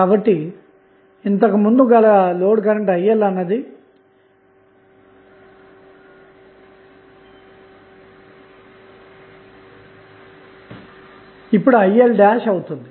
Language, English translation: Telugu, So, now, earlier it was the load current Il, it has become Il dash